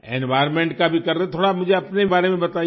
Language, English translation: Hindi, And for the environment too, tell me a little about yourself